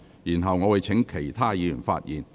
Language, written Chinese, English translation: Cantonese, 然後，我會請其他議員發言。, Then I will call upon other Members to speak